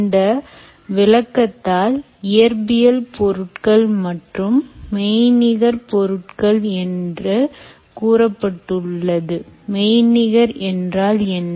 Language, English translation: Tamil, it says physical objects and virtual objects